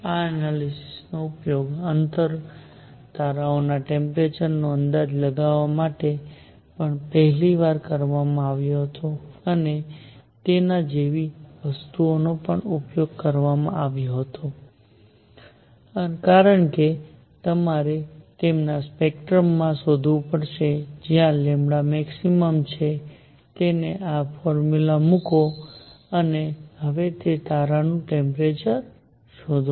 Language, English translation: Gujarati, This analysis was also used for the first time to estimate the temperature of distance stars, and things like those because you have to find in their spectrum where lambda max is and put that in this formula and find the temperature of that now that star